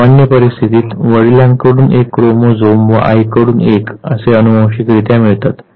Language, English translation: Marathi, In normal circumstances one inherits one chromosome from the father and one from the mother